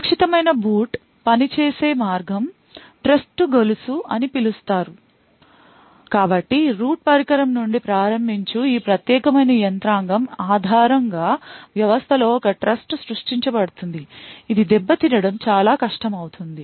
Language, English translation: Telugu, The way secure boot works is by something known as a chain of trust so starting from the root device there is a trust created in the system based on this particular mechanism it becomes very difficult to tamper with